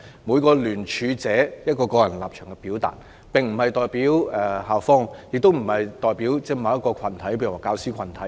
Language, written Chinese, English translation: Cantonese, 每位聯署者表達的個人立場並不代表校方，亦不代表某些教師或學生群體。, The personal stance expressed by each signatory does not represent the school . Neither does it represent certain teachers or student groups